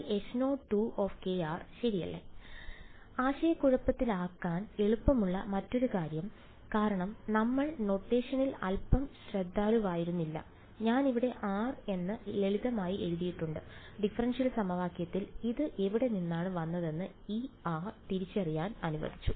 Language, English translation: Malayalam, So, another thing that is easy to get confused by because we were being a little not very careful with our notation, I have simply written r over here right, this r lets identify where it came from in the differential equation ok